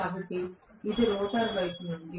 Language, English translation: Telugu, So this is from the rotor side